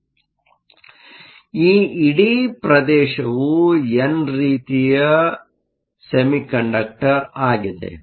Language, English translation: Kannada, So, this whole region is your n type semiconductor